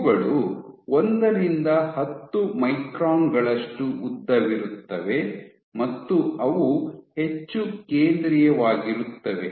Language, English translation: Kannada, These are 1 to 10 microns in length, and they are present more centrally